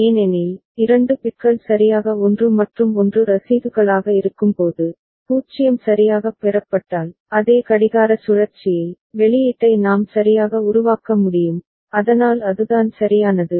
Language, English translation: Tamil, Because, when 2 bits are receipt correctly 1 and 1, then if 0 is received ok, in that same clock cycle, we can generate the output ok, so that is the thing right